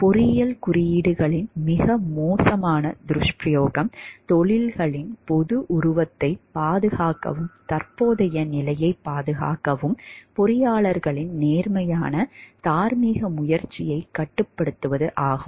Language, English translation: Tamil, Probably the worst abuse of engineering codes is to restrict honest moral effort on the part of engineers to preserve the professions public image and protect the status quo